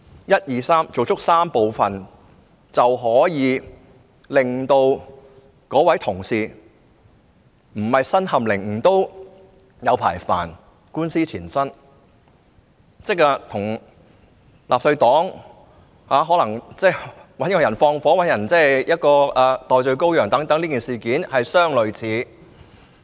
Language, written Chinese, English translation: Cantonese, 一、二、三，做足這3部分，便可以令有關同事不是身陷囹圄，也官司纏身，煩惱很久，即與我剛才提到的故事，納粹黨可能找人縱火或找人頂罪等事件相類似。, If all these steps one two and three are taken our colleagues may be imprisoned or even if they are not they will be burdened and troubled by the legal proceedings for a long time . The case will be similar to the story I mentioned earlier in which the Nazis might have assigned someone to commit arson or found a scapegoat